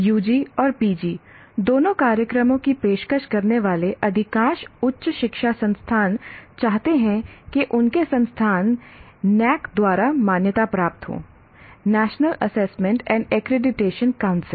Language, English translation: Hindi, And most of the higher education institutions offering both UG and PG programs, they want their institutions to be accredited by NAC, National Assessment and Accreditation Council